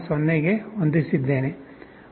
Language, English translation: Kannada, Let me change it to 0